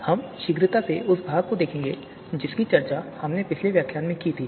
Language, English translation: Hindi, So we will just quickly browse through to the part which we were discussing in the last particular lecture